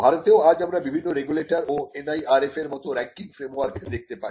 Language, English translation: Bengali, In India currently we find that various regulators like the UGC, AICTE and some ranking frameworks like the NIRF